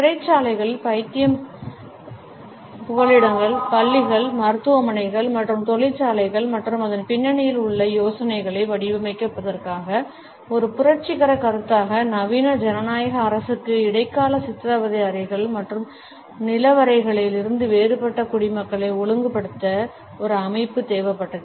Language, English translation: Tamil, As a revolutionary concept for the design of prisons, insane asylum, schools, hospitals and factories and the idea behind it, that the modern democratic state needed a system to regulate it citizens which was different from medieval torture rooms and dungeons